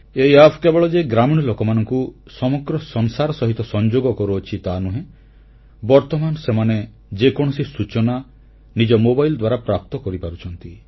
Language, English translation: Odia, This App is not only connecting the villagers with the whole world but now they can obtain any information on their own mobile phones